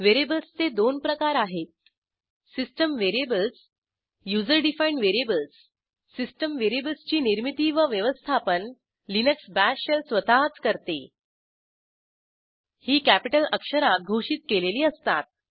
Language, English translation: Marathi, * There are two types of variables System variables User defined variables System variables, These are created and maintained by Linux Bash Shell itself